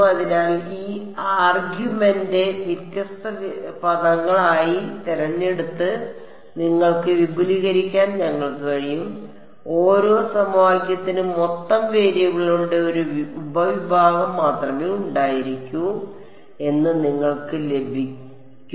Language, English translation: Malayalam, So, we can you can sort of extend this argument choose W m to be different different terms, you will get each equation will have only a subset of the total number of variables